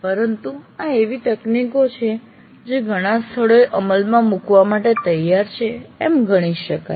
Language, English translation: Gujarati, But let us say these are the technologies that can be considered for ready implementation in many places